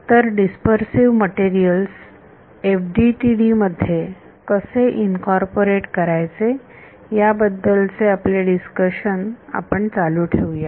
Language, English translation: Marathi, So, we will continue our discussion of how to incorporate dispersive materials into FDTD